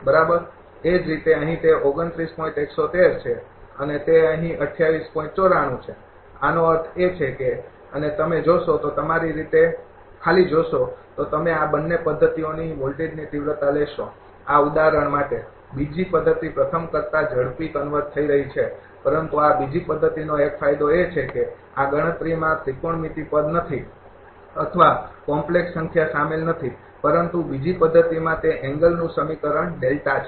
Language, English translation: Gujarati, 94 so; that means, and if you look at the you just see yourself if you see the voltage magnitude of both the methods you will find for this example second method is converging faster than the first one, but one advantage of this second method is that, throughout this computation there is no trigonometric term or complex number is involved, but in the second method that expression of angle delta